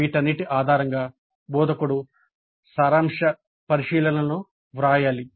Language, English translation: Telugu, Based on all these the instructor must write the summary observations